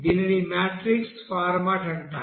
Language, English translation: Telugu, So this is called matrix form